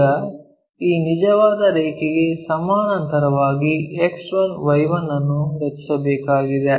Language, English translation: Kannada, So, parallel to the true line, we are drawing this X 1, Y 1 axis